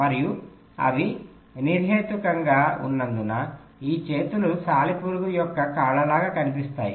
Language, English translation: Telugu, and because they are located arbitrarily, these arms will look like legs of the spider